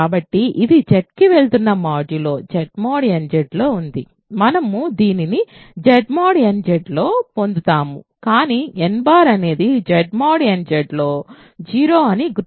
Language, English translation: Telugu, So, this is in Z going modulo Z mod nZ we get this in Z mod nZ, but n bar remember is 0 in Z mod nZ